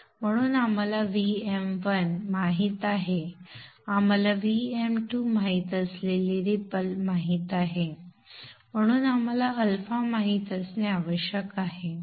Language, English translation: Marathi, So we know VM1, we know the ripple, we know VM2 and therefore we should be able to know alpha